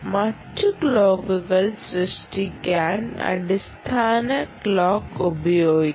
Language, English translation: Malayalam, the basic clock can be used to generate other clocks